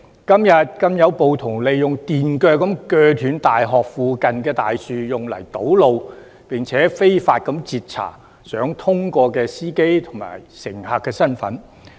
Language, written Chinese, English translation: Cantonese, 今天更有暴徒利用電鋸鋸斷大學附近的大樹用以堵路，並且非法截查想通過道路的司機及乘客的身份。, Today masked rioters even used a chainsaw to cut a large tree near a university campus to block the road; and they unlawfully stopped and checked the identity documents of vehicle drivers and passengers trying to pass the road